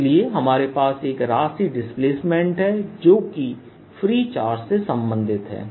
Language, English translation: Hindi, so we have got one quantity displacement which is related to the free charge, like this